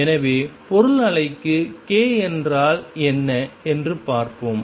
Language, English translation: Tamil, So, let us see what is k for material wave